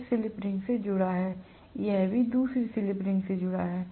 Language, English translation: Hindi, So this is connected to slip ring, this is also connected to another slip ring